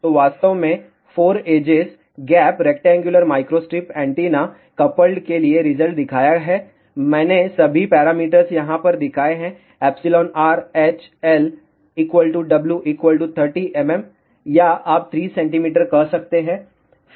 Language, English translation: Hindi, So, I have actually shown the result for 4 edges gap coupled rectangular microstrip antenna, I have shown all the parameters over here epsilon r h L equal to W equal to 30 mm or you can say 3 centimeters